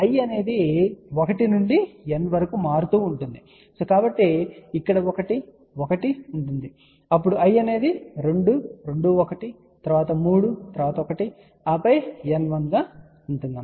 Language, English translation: Telugu, i will vary from 1 to N, so 1 1 which is here, then i will be 2, 2 1, then 3 1, and then N 1